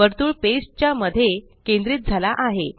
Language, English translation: Marathi, The circle is aligned to the centre of the page